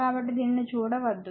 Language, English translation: Telugu, So, do not see that one